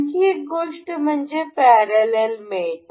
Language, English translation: Marathi, Another thing is parallel mate